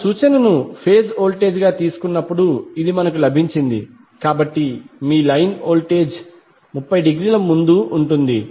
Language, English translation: Telugu, This is we have got when we take the reference as a phase voltage, so your line voltage will be leading by 30 degree